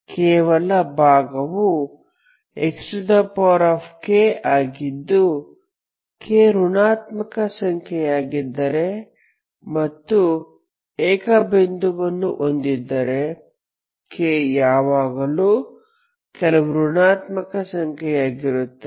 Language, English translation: Kannada, If k is negative and you have a singular point k will always be some kind of negative